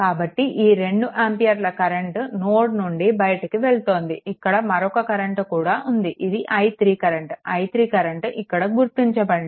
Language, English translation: Telugu, So, this 2 ampere current is you are leaving this node right there another thing is that that i 3 current this is that i 3 is marked here